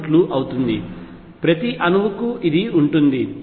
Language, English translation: Telugu, 6 e v, each atom has this